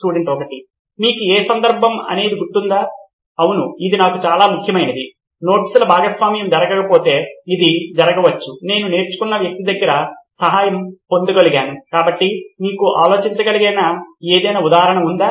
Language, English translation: Telugu, Like Any instance that you remember, yes this was very important for me, if sharing of notes didn’t happen which can be…I would have helped by a learned person, so is there any instance you can think of